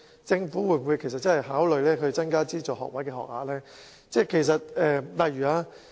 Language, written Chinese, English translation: Cantonese, 政府會否認真考慮增加資助學位學額？, Will the Government seriously consider increasing the places of funded degrees?